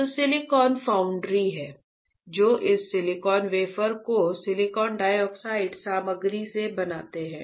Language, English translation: Hindi, So, there are silicon foundries which fabricate this silicon wafer from the silicon dioxide material, alright